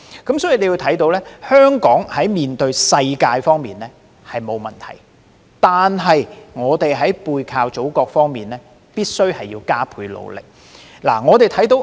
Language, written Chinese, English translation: Cantonese, 由此可見，香港在面向世界方面並無問題。然而，在背靠祖國方面，香港必須加倍努力。, From this we can see that Hong Kong is fine to face the world but has to redouble its efforts to work with the Motherland